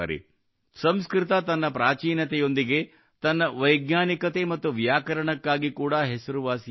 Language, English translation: Kannada, Sanskrit is known for its antiquity as well as its scientificity and grammar